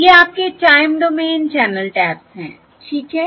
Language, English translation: Hindi, these are the time domain channel taps